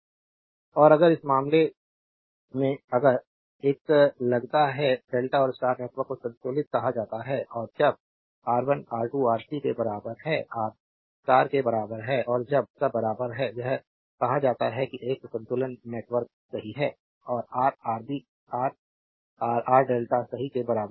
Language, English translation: Hindi, And if in this case if a suppose delta and star networks are said to be balanced and when R 1 R 2 is equal to R 3 is equal to R star, and when all are equal it is said is a balance network right and Ra, Rb, Rc is equal to R delta right